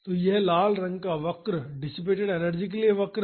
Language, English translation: Hindi, So, this is the curve for the red one is the curve for the dissipated energy